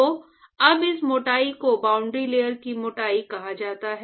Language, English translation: Hindi, So, now, this thickness is what is called the ‘boundary layer thickness’